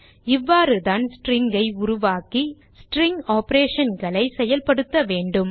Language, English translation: Tamil, This is how we create strings and perform string operations